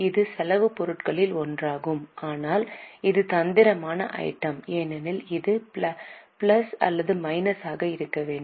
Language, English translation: Tamil, It is one of the expense items but it is tricky item because should it be plus or minus